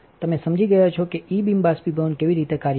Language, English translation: Gujarati, You understood that how the E beam evaporator would work